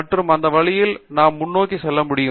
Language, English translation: Tamil, And, that way we can go forward in time